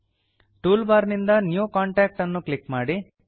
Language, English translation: Kannada, In the toolbar, click New Contact